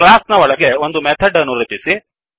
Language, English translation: Kannada, Inside the class create a method